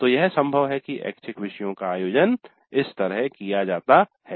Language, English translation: Hindi, So it is possible that this is how the electives are organized